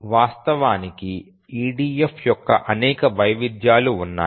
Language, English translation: Telugu, There are some variations, actually many variations of EDF